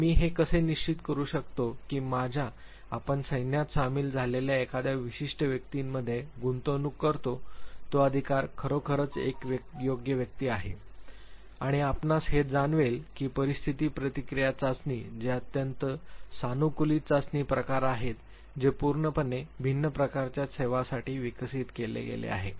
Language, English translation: Marathi, Now how do I ensure that the authority that I invest in a given individual you joins my forces is really a worthy person and you would realize that situation reaction test which are very customized type of test developed exclusively for different type of services